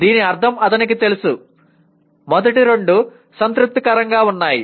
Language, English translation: Telugu, This means he knows, the first two are satisfied